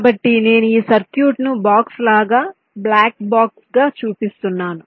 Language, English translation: Telugu, so i am showing this circuit as a box, black box